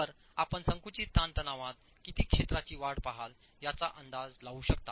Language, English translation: Marathi, So you can make an estimate over how much area would you see an increase in the compressive stress